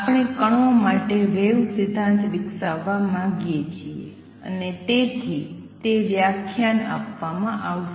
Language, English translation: Gujarati, We want to develop a wave theory for particles and therefore, those lectures will given